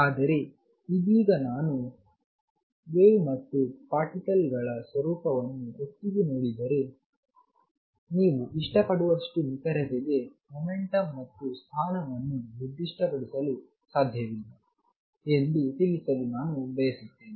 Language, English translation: Kannada, But right now just I wanted to convey that if you look at the wave and particle nature together, you cannot specify the momentum and position to as much as accuracy as you like